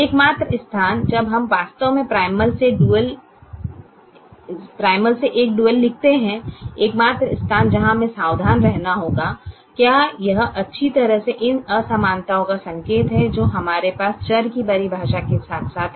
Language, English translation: Hindi, the only place when we actually write a dual from the primal, the only place where we have to be careful and do it well, is the sign of these inequalities that we have, as well as the definition of the variables